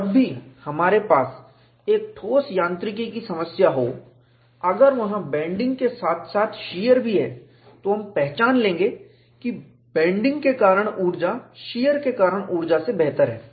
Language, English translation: Hindi, Whenever we have a solid mechanics problem, if there is a bending as well as shear, we would recognize the energy due to bending better than the energy due to shear